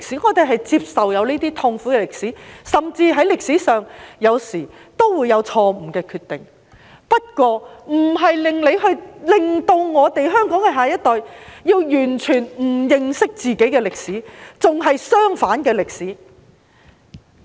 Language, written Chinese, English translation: Cantonese, 我們接受這些痛苦的歷史，甚至在歷史上，有時候也會有錯誤的決定，但這並非要你讓香港的下一代完全不認識自己的歷史，甚至是相反的歷史。, We accept the painful history . More so in history there were wrong decisions sometimes . Yet it does not mean that the next generation of Hong Kong should not know anything about our history or even learn the opposite of it